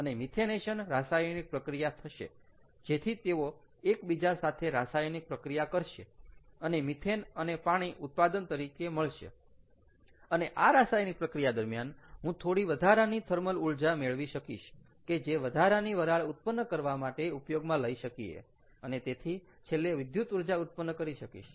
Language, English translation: Gujarati, what i will do is, therefore, i will have these to react and have a methanation reaction, so that they react with each other and and the products are methane and water, and during that reaction, i get some additional thermal energy out of the reaction which can be used for generating additional steam and therefore electricity